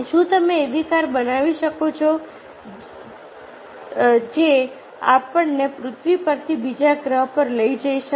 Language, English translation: Gujarati, they can think a question like this: can you make a car that can take us from the earth to another planet